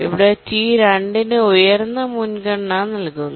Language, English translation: Malayalam, We need to give a higher priority to T2